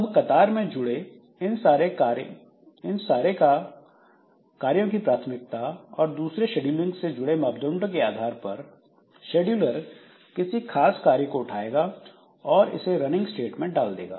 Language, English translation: Hindi, Now depending upon the priority of all these jobs that we have in the queue and other scheduling related parameters this scheduler so it will pick up one particular job from this and it will put it into the running state